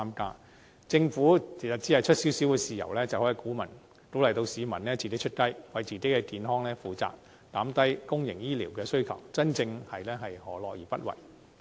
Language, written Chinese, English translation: Cantonese, 其實，政府只需出一點豉油，便可以鼓勵市民自己出雞，為自己的健康負責，減低公營醫療的需求，真正是何樂而不為。, In fact the Government needs only pay for the appetizer in order to encourage the public to pay for the main course so that they are responsible for their own health and the demands for public healthcare services can be reduced too